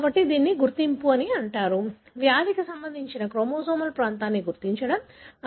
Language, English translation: Telugu, So this is called as identify; so, identify the chromosomal region that is associating with the disease